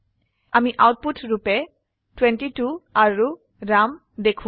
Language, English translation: Assamese, We see the output 22 and Ram